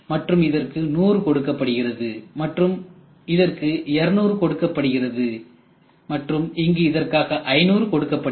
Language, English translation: Tamil, And here this is going to be for 100, this is going to be for 200 and somewhere here it is going to be for 500